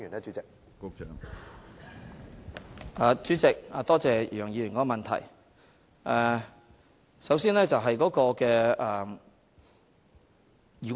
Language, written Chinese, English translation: Cantonese, 主席，多謝楊議員的補充質詢。, President I thank Mr YEUNG for his supplementary question